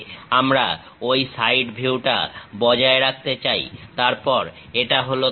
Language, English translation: Bengali, We want to retain that side view, then this is the plane